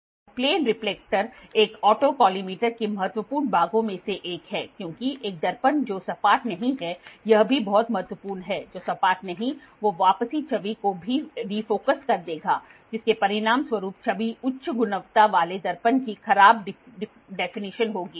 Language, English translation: Hindi, So, a plane reflector is one of the vital parts of an auto collimator because a mirror that is not flat this is also very important, not flat will defocus the return image resulting in a poor definition of the image high quality mirror